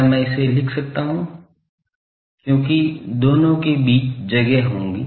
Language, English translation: Hindi, Can I write this, because there will be space, space between the two ok